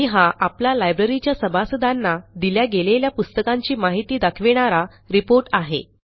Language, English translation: Marathi, And there is our nice report history on the Books issued to the Library members